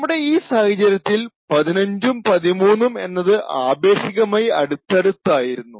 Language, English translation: Malayalam, Now in this particular case 15 and 13 are relatively close, so they fall within the same free list